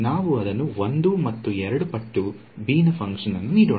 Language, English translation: Kannada, Let us give it some value 1 and 2 times the basis function b